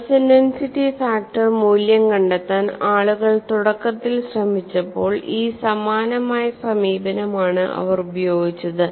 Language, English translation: Malayalam, So, what people have initially have attempted to find the stress intensity factor value is, they utilized the similar approach